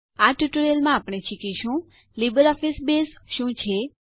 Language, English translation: Gujarati, In this tutorial, we will learn about What is LibreOffice Base